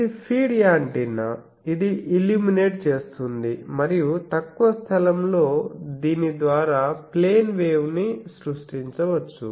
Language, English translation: Telugu, So, this is a feed antenna which is illuminating and within a very short space you can create plane waves by this